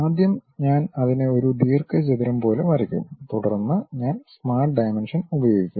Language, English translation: Malayalam, First I will draw it like a rectangle, then I will use Smart Dimensions